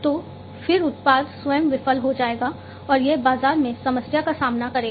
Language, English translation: Hindi, So, then the product itself will fail, and it will face problem in the market